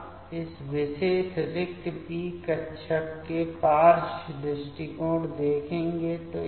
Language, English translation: Hindi, Now, we will see the side approach of this particular empty p orbital